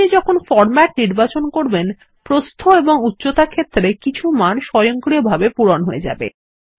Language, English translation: Bengali, When you select the format, the Width and Height fields are automatically filled with the default values